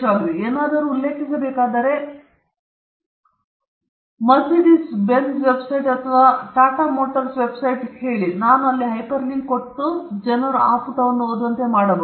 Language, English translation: Kannada, But if I need to refer to something, say Mercedes Benz’s website or Tata motors website, something, I can just hyperlink and people can read from that page